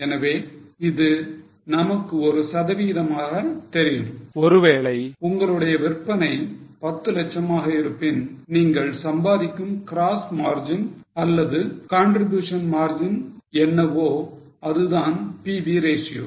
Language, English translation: Tamil, So, we know as a percentage, suppose you have a sale of 10 lakhs, what is a gross margin or what is a contribution margin you are earning, that is the PV ratio